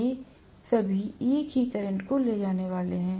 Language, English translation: Hindi, All of them are going to carry the same current